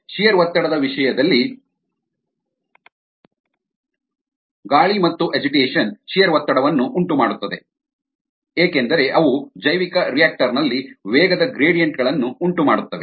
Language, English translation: Kannada, in terms of shear stress, aeration and agitation cause shear stress because they cause velocity gradients in the bioreactor